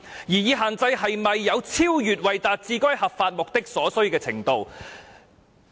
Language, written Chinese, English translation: Cantonese, 擬議限制是否有超越為達致該合法目的所需的程度？, Is the proposed restriction more than necessary in accomplishing that legitimate aim?